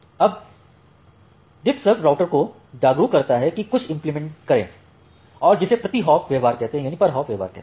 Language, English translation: Hindi, Now, DiffServ aware routers implement something called a per hop behaviour